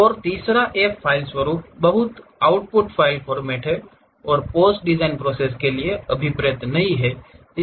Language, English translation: Hindi, And the third one, the file format is very much an output file format and not intended for post design processing